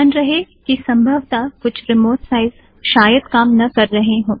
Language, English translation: Hindi, You have to keep in mind that its likely that some of the remote sites may be down